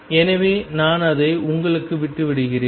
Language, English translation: Tamil, So, I leave it for you